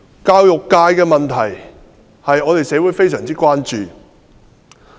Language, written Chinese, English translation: Cantonese, 教育界的問題社會非常關注。, The society is very concerned about problems in the education sector